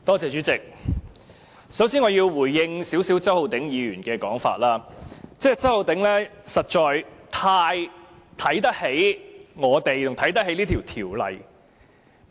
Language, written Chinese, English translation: Cantonese, 主席，我首先要就周浩鼎議員的說法稍作回應，他實在太看得起我們及這項條例草案。, Chairman first of all I have to give a brief response to Mr Holden CHOWs remarks . He has indeed thought too highly of us and this Bill